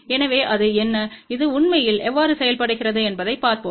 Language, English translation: Tamil, So, let us see what it is and how it really works ok